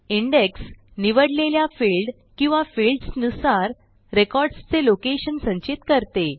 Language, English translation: Marathi, The Index stores the location of records based on the chosen field or fields